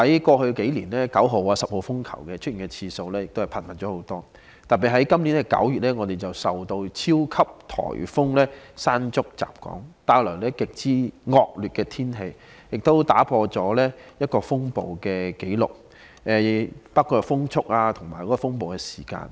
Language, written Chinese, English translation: Cantonese, 過去數年，懸掛9號烈風和10號颱風信號的次數更為頻密，特別是在今年9月，我們受到超級颱風"山竹"吹襲，帶來極之惡劣的天氣，更打破一些風暴紀錄，包括風速和風暴時間。, 9 and hurricane signal No . 10 have been more frequent . In particular in September this year the onslaught of super typhoon Mangkhut brought extremely inclement weather and broke some storm records in terms of wind speed and storm duration etc